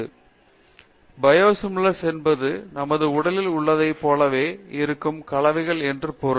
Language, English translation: Tamil, So, Biosimilars means the compounds that are similar to what we have in our body